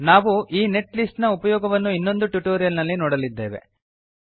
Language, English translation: Kannada, We will see the use of this netlist file in another tutorial